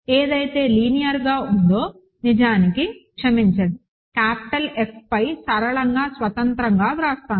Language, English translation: Telugu, Suppose, what is linearly, so actually sorry I will write it as is linearly independent over capital F